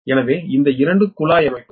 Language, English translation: Tamil, so this two are tap settings